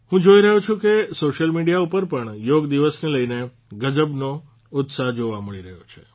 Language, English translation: Gujarati, I see that even on social media, there is tremendous enthusiasm about Yoga Day